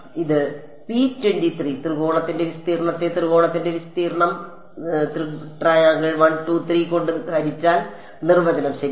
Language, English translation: Malayalam, It is the area of triangle P 2 3 divided by area of triangle 1 2 3 this is the definition ok